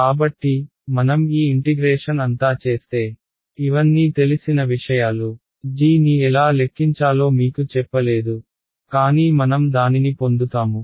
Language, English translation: Telugu, So, if I do all this integration this these are all known things ok, I have not told you how to calculate g, but we will get to it